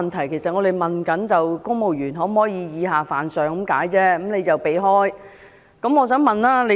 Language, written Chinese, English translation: Cantonese, 我們只是詢問公務員可否以下犯上，但他卻避而不答。, Our question is simply whether civil servants are allowed to offend their superiors but he evades the question